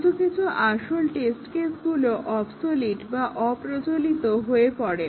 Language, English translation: Bengali, Some of the original test cases become obsolete; they cannot be used anymore